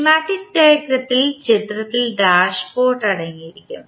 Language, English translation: Malayalam, The schematic diagram will contain dashpot in the figure